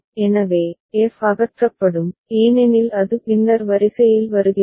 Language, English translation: Tamil, So, f will be removed because it comes later in the order